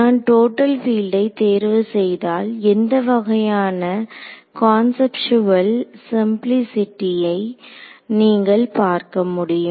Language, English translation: Tamil, What is the when I choose to total field over here what is the sort of one conceptual simplicity you can see of doing that